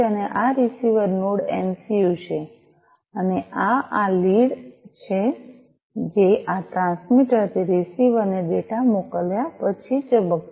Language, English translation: Gujarati, And this is this receiver Node MCU and this is this led, which is going to blink once you send the data, from this transmitter to the receiver